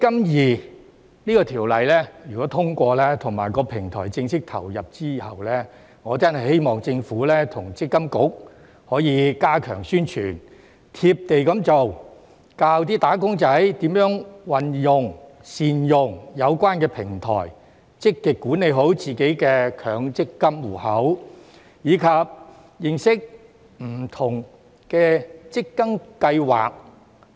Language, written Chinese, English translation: Cantonese, 如果《條例草案》獲得通過，在"積金易"平台正式投入運作之後，我真的希望政府與積金局可以加強宣傳、"貼地"地做、教"打工仔"如何運用、善用有關平台，積極管理好自己的強積金戶口，以及認識不同的強積金計劃。, If the Bill is passed after the eMPF Platform officially comes into operation I really hope that the Government and MPFA can step up publicity act in a down - to - earth manner and teach wage earners how to use and utilize the platform concerned to manage their own MPF accounts proactively and properly and get to know different MPF schemes